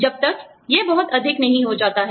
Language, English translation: Hindi, Unless, it becomes, too much